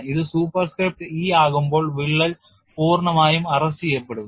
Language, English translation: Malayalam, When it becomes a superscript e, the crack is fully arrest